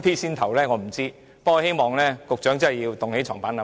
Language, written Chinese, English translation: Cantonese, 不過，我希望局長好好作出檢討。, Anyway I hope the Secretary can give himself a self - review properly